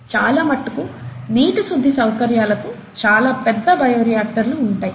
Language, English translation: Telugu, And many of these water treatment facilities have bioreactors that are large